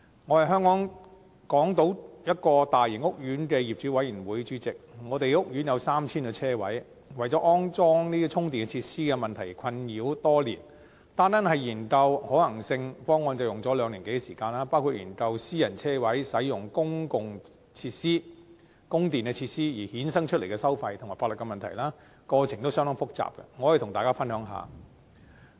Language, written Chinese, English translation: Cantonese, 我是港島一個大型屋苑的業主委員會主席，我們的屋苑有 3,000 個車位，為了安裝充電設施的問題而困擾多年，單單是研究可行性方案便花了兩年多時間，包括研究私人車位使用公用供電設施而衍生的收費及法律問題，過程相當複雜，這點我可以與大家分享。, We have been bothered by the issue of installing charging facilities for years and just examining the feasible options took over two years which included the pricing and legal issues generated by letting private parking spaces using public power supply system . The processes are quite complicated . I can share with you on this